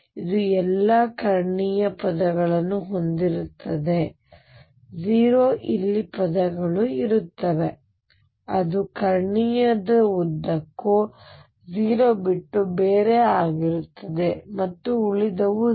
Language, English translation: Kannada, It would have all of diagonal term 0 there will be terms here which will be nonzero along the diagonal and everything else would be 0